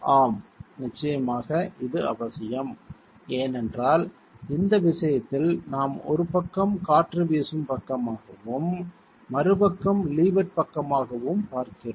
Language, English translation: Tamil, It is essential because in this case we are looking at one side being the windward side and the other side being the levered side